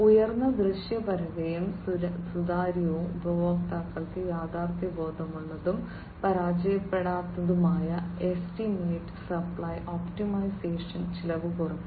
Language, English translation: Malayalam, Higher visibility and transparency, a realistic, and fail safe estimate for customers, and supply optimization, and cost reduction